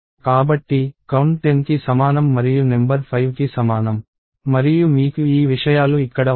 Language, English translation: Telugu, So, count equals 10 and number equals 5 and you have these things here